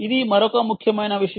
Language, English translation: Telugu, this is another important thing